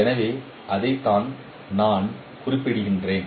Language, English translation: Tamil, So that is what I was referring at